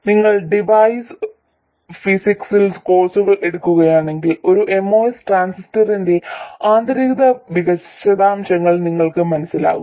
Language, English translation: Malayalam, If you take courses in device physics you will understand the internal details of a MOS transistor